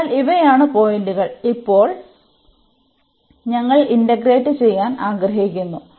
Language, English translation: Malayalam, So, these are the points and now we want to integrate